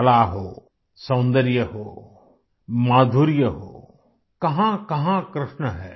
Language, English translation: Hindi, Be it art, beauty, charm, where all isn't Krishna there